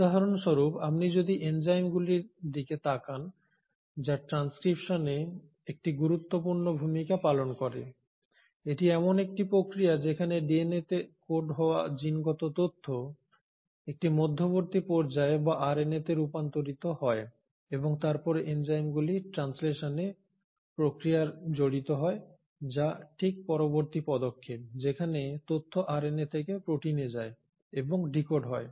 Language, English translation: Bengali, So for example if you are going to look at the enzymes which play an important role in transcription; now this is a process wherein this is a process wherein the genetic information which is coded in DNA gets converted to an intermediary step or RNA and then even the enzymes which are involved in the process of translation which is a next subsequent step wherein information then gets passed on and gets decoded from RNA into protein